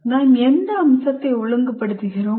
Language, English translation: Tamil, What aspect are we regulating